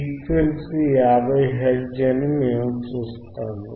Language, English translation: Telugu, Now what wWe see isthat my frequency is 50 hertz